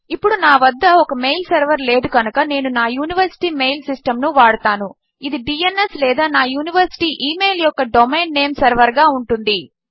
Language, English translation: Telugu, Now as I dont have a mail server, I will use my university email system which is the DNS or the Domain Name Server of my university email Thats the way my email is sent through my university